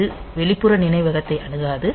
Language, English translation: Tamil, So, it does not access the external memory